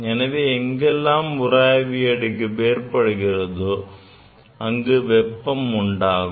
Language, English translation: Tamil, Wherever there will be friction, it will generate heat etcetera